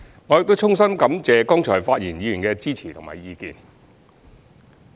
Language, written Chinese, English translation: Cantonese, 我亦衷心感謝剛才發言議員的支持及意見。, I am also grateful to the Members who have just spoken for their support and views